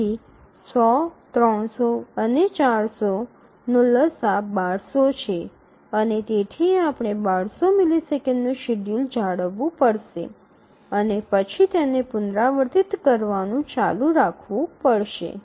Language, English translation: Gujarati, So, 100, 200 and so sorry 100, 300 and 400 the LCM is 1200 and therefore we need to maintain the schedule for 1,200 milliseconds and then keep on repeating that